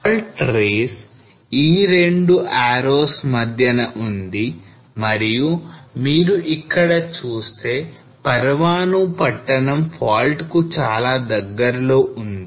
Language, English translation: Telugu, So fault rays is here between those 2 arrows and if you see this Parwanoo is a town is very much close to the fault